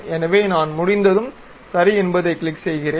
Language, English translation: Tamil, So, once I am done click Ok